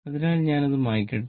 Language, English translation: Malayalam, So, let me delete it